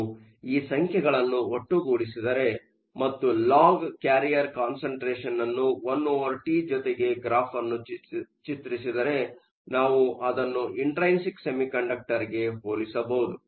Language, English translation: Kannada, If we put these numbers together, and did a plot of the log of the carrier concentration versus one over T, we can compare that to your intrinsic semiconductor